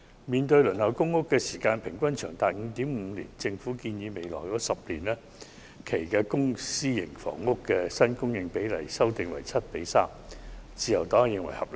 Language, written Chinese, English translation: Cantonese, 面對輪候公屋的時間平均長達 5.5 年，政府建議將未來10年的公私營房屋新供應比例修訂為 7：3， 自由黨認為是合理的。, In the face of an average waiting time of 5.5 years for public housing the Government proposes that the publicprivate split for the supply of new housing units over the next 10 years be adjusted to 7col3